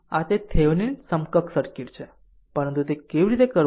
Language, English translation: Gujarati, So, this is that Thevenin equivalent circuit, but how to do it